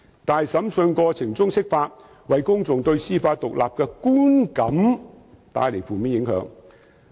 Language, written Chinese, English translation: Cantonese, 但是，在審訊過程中釋法，為公眾對司法獨立的觀感帶來負面影響。, However interpretation of the Basic Law in the middle of local court proceedings inevitably created a negative impact on public impressions on judicial independence